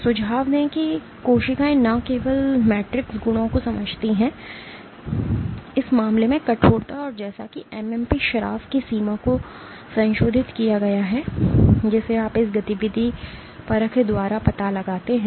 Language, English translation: Hindi, Suggest that the cells not only sense the matrix properties, In this case the stiffness, and as accordingly modulated the extent of MMP secretion that you detect by this activity assay